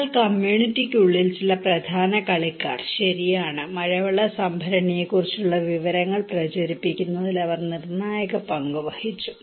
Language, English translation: Malayalam, But also, there are some key players inside the community okay, they actually played a critical role to disseminate informations about the rainwater harvesting tank